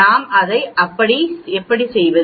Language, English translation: Tamil, So how do we that